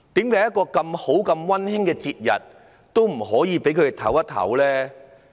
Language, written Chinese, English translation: Cantonese, 在如此溫馨的節日，為何不可以讓市民歇息一下呢？, On such a harmonious festival why could people be not allowed to have a break?